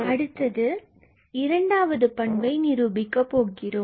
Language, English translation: Tamil, So, the second property is established